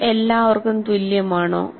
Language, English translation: Malayalam, And is it the same for all